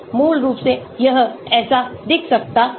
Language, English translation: Hindi, Basically, this is how it may look like